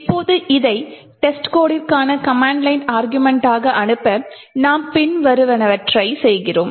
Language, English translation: Tamil, Now in order to pass this as the command line argument to test code we do the following we run test code as follows